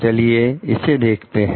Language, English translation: Hindi, Let us see